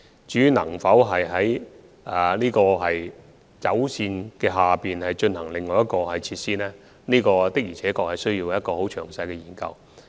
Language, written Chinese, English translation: Cantonese, 至於能否在鐵路線之下再興建另一運輸設施，我們需要進行一個很詳細的研究。, In regard to whether another transport facility can be constructed under a railway line we need to conduct a detailed study